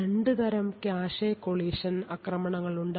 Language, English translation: Malayalam, So, in this way we had looked at cache collision attacks